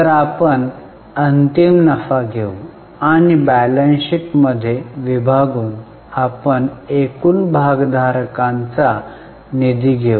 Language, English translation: Marathi, So, we will take the final profit and divide it by from the balance profit after tax divided by shareholders funds